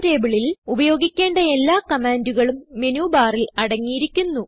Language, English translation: Malayalam, Menubar contains all the commands you need to work with GChemTable